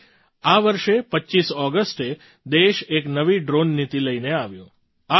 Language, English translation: Gujarati, Which is why on the 25th of August this year, the country brought forward a new drone policy